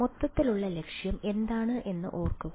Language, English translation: Malayalam, What was remember the overall objective